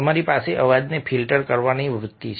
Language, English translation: Gujarati, you have the tendency of filtering sound